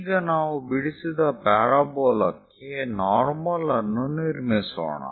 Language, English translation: Kannada, Now let us construct a normal to the drawn parabola